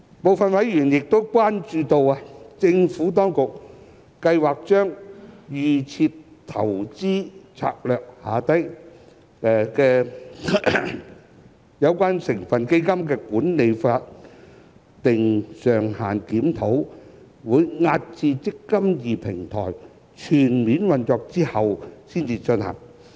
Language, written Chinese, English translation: Cantonese, 部分委員亦關注到，政府當局計劃把預設投資策略下有關成分基金的管理費法定上限的檢討，押後至"積金易"平台全面運作後才進行。, Some members have also expressed concern about the Administrations plan to defer the review of the statutory management fee cap on the constituent funds under the Default Investment Strategy DIS until full operation of the eMPF Platform